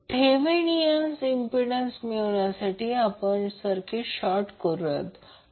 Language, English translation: Marathi, To find out the Thevenin impedance you will short circuit this